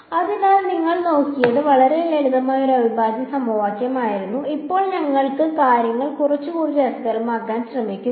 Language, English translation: Malayalam, So, what you looked at was a very simple kind of integral equation, now we’ll try to make things little bit more interesting